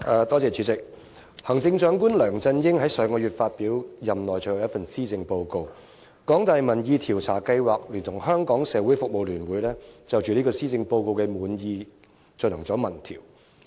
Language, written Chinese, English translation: Cantonese, 代理主席，行政長官梁振英在上月發表任內最後一份施政報告，香港大學民意研究計劃聯同香港社會服務聯會，就施政報告滿意度進行民意調查。, Deputy President Chief Executive LEUNG Chun - ying published the final Policy Address in his term of office last month . The Public Opinion Programme of the University of Hong Kong collaborated with the Hong Kong Council of Social Service to survey public satisfaction with the Policy Address